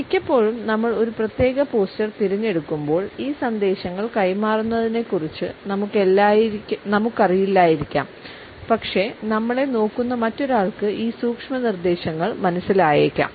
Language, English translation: Malayalam, Often it may happen that when we opt for a particular posture, we ourselves may not be aware of transmitting these messages, but the other person who is looking at us is not impervious to these subtle suggestions